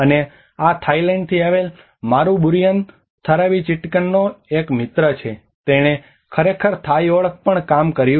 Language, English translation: Gujarati, And this is a friend of mine Burin Tharavichitkun from Thailand, he actually worked on the Thai identity